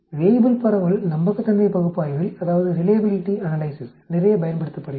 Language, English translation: Tamil, Weibull distribution is used quite a lot in reliability analysis